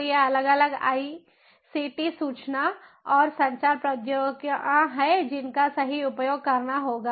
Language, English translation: Hindi, so these are the different ict information and communication technologies that will have to be used, right